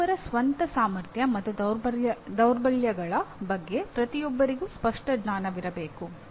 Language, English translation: Kannada, Everyone should have clear knowledge about one’s own strengths and weaknesses